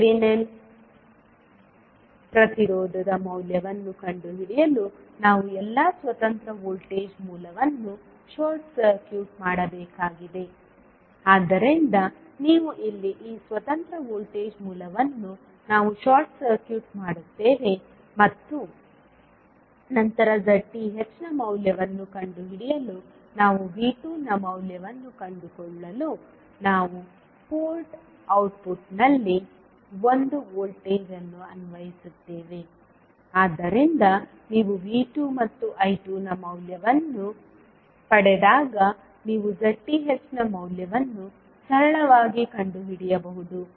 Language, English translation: Kannada, To find out the value of Thevenin impedance we need to short circuit all the independent voltage source, so you here this independent voltage source we will short circuit and then to find out the value of Z Th we will apply one voltage at the output port so that we can find the value of V 2, so when you get the value of V 2 and I 2 you can simply find out the value of Z Th